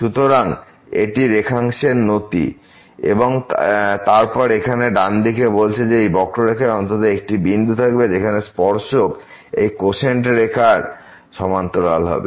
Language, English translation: Bengali, So, this is the slope of this line segment and then the right hand side here says that there will be at least one point on this curve where the tangent will be parallel to this quotient line